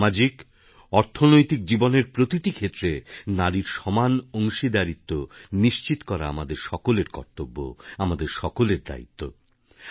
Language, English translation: Bengali, Today, it is our duty to ensure the participation of women in every field of life, be it social or economic life, it is our fundamental duty